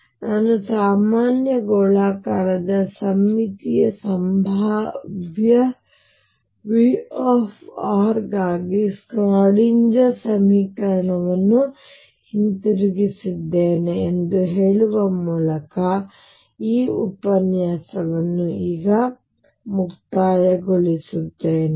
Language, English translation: Kannada, So, let me just now conclude this lecture by saying that we have return the Schrodinger equation for a general spherically symmetric potential V r